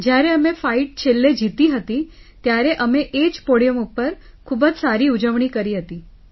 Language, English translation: Gujarati, When we won the fight at the end, we celebrated very well on the same podium